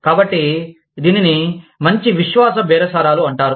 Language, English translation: Telugu, So, that is called, good faith bargaining